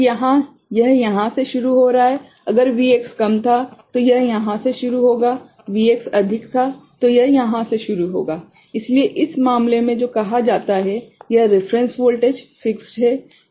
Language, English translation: Hindi, So, here it is starting from here, if the Vx was less it will start from here, Vx was more it will start from here, but in this case the what is that called, this reference voltage is fixed